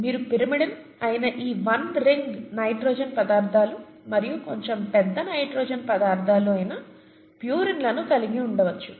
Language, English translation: Telugu, You could have pyrimidines which are these one ring nitrogenous substances and purines which are slightly bigger nitrogenous substances, okay